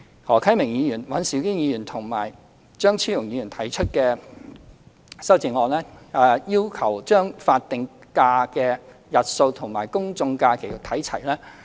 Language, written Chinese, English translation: Cantonese, 何啟明議員、尹兆堅議員和張超雄議員提出了修正案，要求將法定假的日數與公眾假期看齊。, Mr HO Kai - ming Mr Andrew WAN and Dr Fernando CHEUNG have proposed amendments to align the number of statutory holidays with that of general holidays